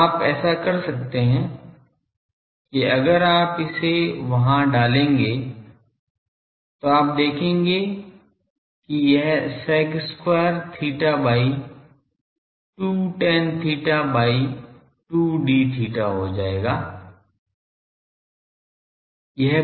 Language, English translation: Hindi, So, you can do that, that if you put it there you will see this will become sec square theta by 2 tan theta by 2 d theta